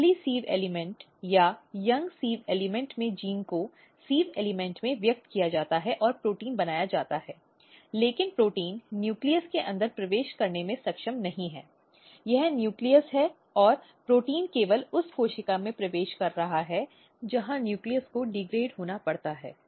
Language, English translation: Hindi, And, another important thing if you look the sieve element at early sieve elements or young sieve elements the gene is expressed in the sieve element protein is made, but protein is not able to enter inside the nucleus this is the nucleus and protein is entering only in the cell where nucleus has to be degraded